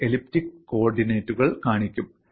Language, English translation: Malayalam, Then you could also have a look at the elliptic coordinates